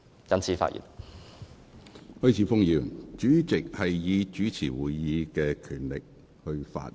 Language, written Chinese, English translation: Cantonese, 許智峯議員，主席是依照其主持會議的權力發言。, Mr HUI Chi - fung the President speaks pursuant to his power to preside Council meetings